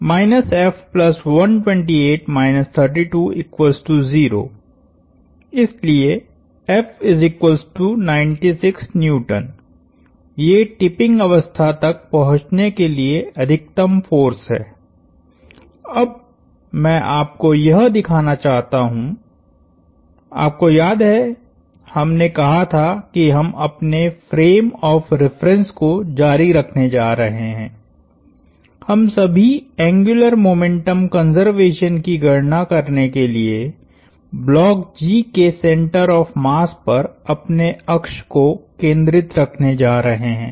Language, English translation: Hindi, So, the maximum force to reach tipping condition, now I want to show you remember we said we are going to keep our frame of reference, we are going to keep our axes centered on the center of mass of the block G to perform all angular momentum conservation calculations